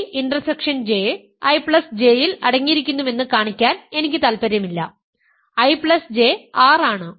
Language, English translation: Malayalam, Now, we are trying to show that I intersection J is contained in I J